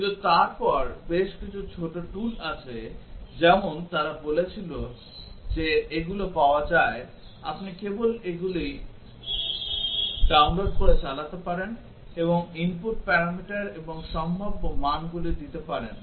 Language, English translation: Bengali, But then there are several small tools as they were saying they are available, you can just download them and run them and given the input parameters and the possible values